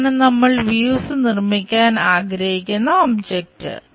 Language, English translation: Malayalam, This is the object, what we would like to construct the views